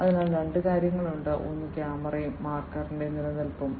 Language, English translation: Malayalam, So, there are two things one is the camera and the existence of marker